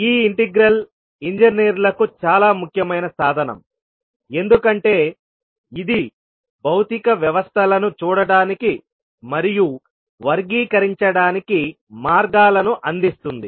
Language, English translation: Telugu, And this particular integral is very important tool for the engineers because it provides the means of viewing and characterising the physical systems